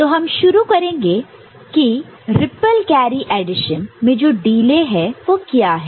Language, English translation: Hindi, So, we begin with what is the delay in ripple carry addition right